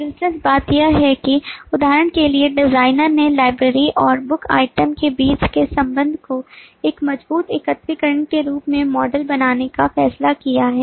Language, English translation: Hindi, interestingly, here, for example, the designer has decided to model the association between library and book item as a weak aggregation, not as a strong aggregation